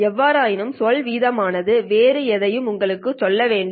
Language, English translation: Tamil, However, the word rate should tell you something else, right